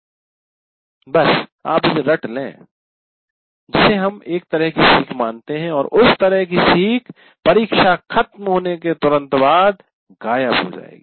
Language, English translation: Hindi, That we consider as kind of learning and that kind of learning will vanish immediately after the exam is over